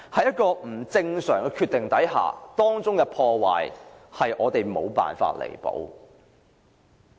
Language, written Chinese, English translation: Cantonese, 一個不正常的決定，造成的破壞是我們無法彌補的。, We can never repair the damage caused by an abnormal decision